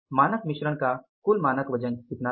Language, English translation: Hindi, The standard total weight of the standard mix was how much